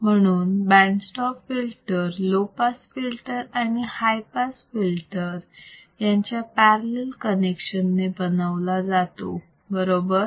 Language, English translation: Marathi, In case of band stop filter, we are connecting low pass filter and high pass filter, but in the parallel connection ok